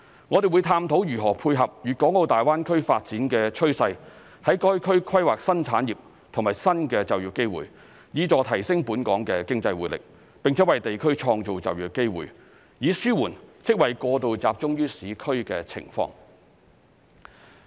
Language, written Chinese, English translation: Cantonese, 我們會探討如何配合粵港澳大灣區發展的趨勢，在該區規劃新產業和新的就業機會，以助提升本港的經濟活力，並且為地區創造就業機會，以紓緩職位過度集中於市區的情況。, To tie in with the development trend of the Guangdong - Hong Kong - Macao Greater Bay Area we will explore how to plan for development of new industries and new job opportunities in the region to enhance economic vitality in Hong Kong and create job opportunities for the region so as to reduce excessive concentration of jobs in the urban areas